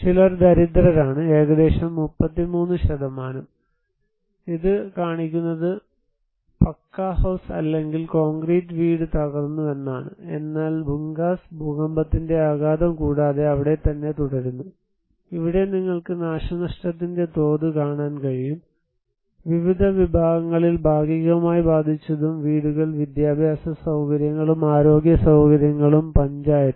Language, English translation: Malayalam, And some are poor, 33% around so, this showing that Pucca House or concrete house broken, but whereas, Bhugas remain there without any impact of earthquake, here you can see the damage level of the houses those partially how they was affected in different category and educational facilities were done, health facilities were done, panchayat